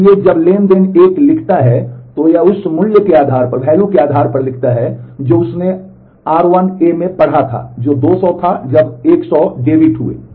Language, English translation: Hindi, So, when transaction 1 writes, it writes based on the value that it had read in r 1 A; which was 200 then 100 debited